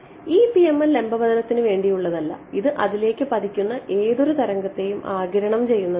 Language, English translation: Malayalam, So, this PML is not for normal incidence this is this is going to absorb any wave that is incident on it